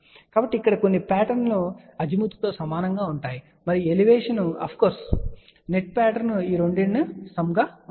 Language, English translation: Telugu, So, you can see that here the some patterns are almost identical for Azimuth as well as Elevation of course, the net pattern will be sum of these 2 also ok